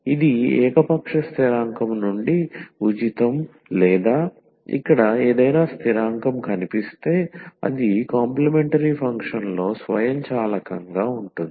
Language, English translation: Telugu, So, it will be free from arbitrary constant or if there is any constant appears here that will be much automatically in the complimentary function